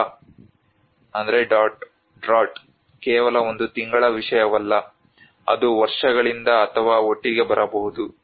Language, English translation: Kannada, A draught is not just only a matter of one month, it may come from years of years or together